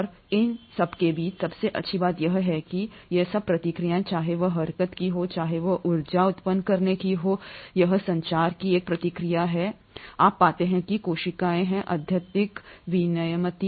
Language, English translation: Hindi, And the best part among all these is that all these processes, whether it is of locomotion, whether it is of generating energy, it is a process of communicating, you find that the cells are highly regulated